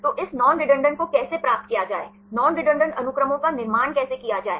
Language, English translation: Hindi, So, how to get this non redundancy, how to construct non redundant sequences